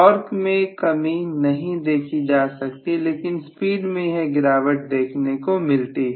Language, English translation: Hindi, Reduction in the torque is not visible but reduction in the speed